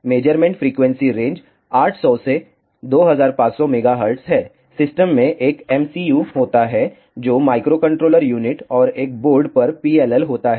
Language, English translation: Hindi, The measurement frequency range is from 800 to 2500 megahertz, the system consists of an MCU which is microcontroller unit and PLL on a single board